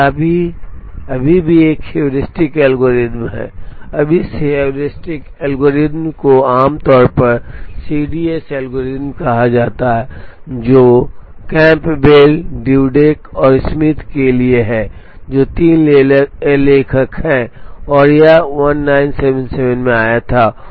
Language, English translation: Hindi, Now, this still a heuristic algorithm, now this heuristic algorithm is commonly called as a CDS algorithm stands for Campbell Dudek and Smith who are the three authors, and this came in 1977